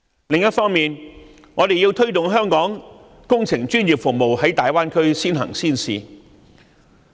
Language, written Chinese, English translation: Cantonese, 此外，我們要推動香港工程專業服務在大灣區先行先試。, Moreover we have to promote early and pilot programmes in the Greater Bay Area for the professional engineering services of Hong Kong